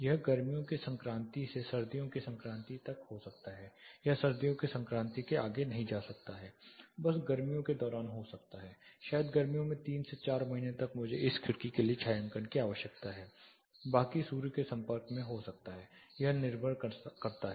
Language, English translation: Hindi, It can be one in summer solstice to winter solstice are do not go further to winter solstice may be just during summer, maybe 3 to 4 months in summer I need shading for this window rest can be exposed to sun it depends